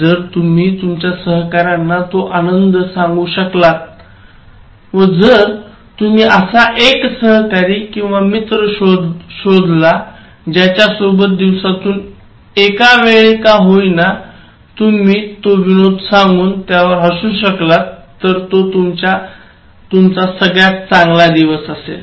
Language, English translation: Marathi, So, that kind of humour, if you are able to share it with your colleagues and if you are able to find colleagues or friends, with whom at least once in a while you can go and then touch base and then make each other laugh so that will be very nice in a day